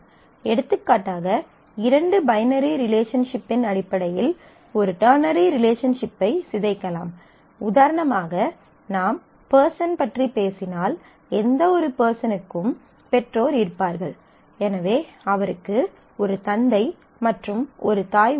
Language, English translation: Tamil, For example, a ternary relationship can be decomposed in terms of two binary relationship; for example, let us say if we talk about persons then person every person has parents; so, he or she has a father and a mother